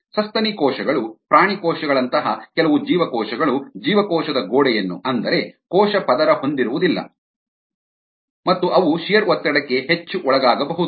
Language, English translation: Kannada, the mammalian cells and animal cells, do not have a cell wall and therefore they could be more susceptible to shear stress